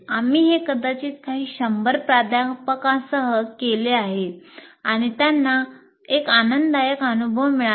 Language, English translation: Marathi, We have done this with maybe a few hundred faculty and it is certainly an enjoyable experience